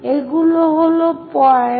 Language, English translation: Bengali, These are the points